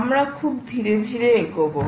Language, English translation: Bengali, lets go slowly now